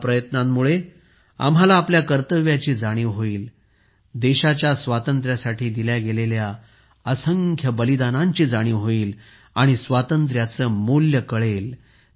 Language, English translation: Marathi, With these efforts, we will realize our duties… we will realize the innumerable sacrifices made for the freedom of the country; we will realize the value of freedom